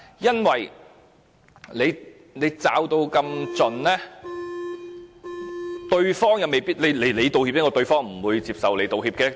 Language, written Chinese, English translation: Cantonese, 因為如果道歉者獲得這樣嚴密的保護，對方未必會接受道歉。, If the apology maker is so thoroughly protected the other party may not be willing to accept the apology